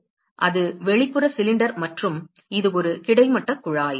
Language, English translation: Tamil, So, that is outer cylinder and it is a horizontal tube